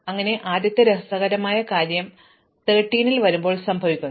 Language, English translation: Malayalam, So, the first interesting thing happens when I come to 13